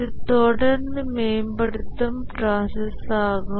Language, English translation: Tamil, This is the continuously improving process